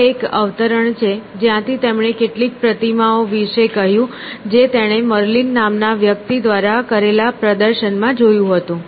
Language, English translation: Gujarati, And he, this is a quote from what he said about some statues that he saw displayed by a man called Merlin